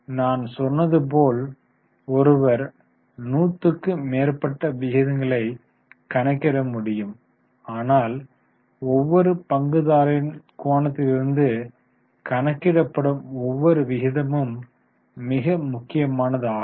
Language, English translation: Tamil, As I told you, one can calculate hundreds of ratios, but each ratio from each stakeholder's angle is very important